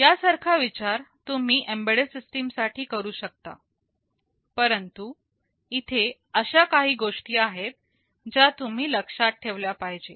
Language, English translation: Marathi, The same consideration you can try to use for an embedded system, but there are a few things you need to remember